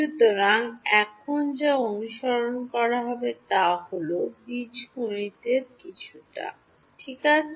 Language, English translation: Bengali, So, what follows now is, little bit of algebra only ok